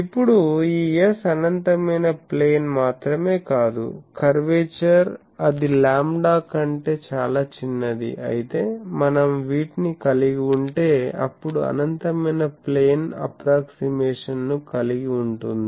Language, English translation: Telugu, Now, if this S is not only infinite plane, but it is curvature is much smaller than the lambda then we can have these same we can infinite plane approximation holds